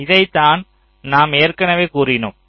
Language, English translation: Tamil, so this something which we already said